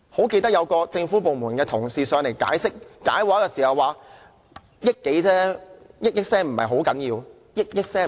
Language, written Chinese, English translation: Cantonese, 記得有一位政府部門的同事來到立法會解畫時說，撥款建議只涉及1億多元而已。, I remember a government department representative who came to brief us at the Legislative Council said that the funding proposal only involved 100 million or so